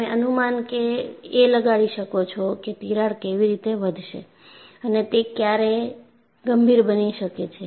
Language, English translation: Gujarati, You are able to predict how the crack will grow and when does it become critical